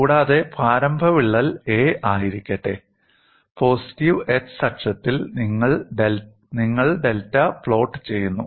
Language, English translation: Malayalam, Let the initial crack be a, and on the positive x axis, you plot delta a